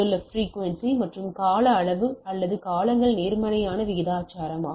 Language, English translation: Tamil, So, frequency and periodicity or periods are inversely proportional